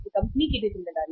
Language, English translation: Hindi, It is the responsibility of the company also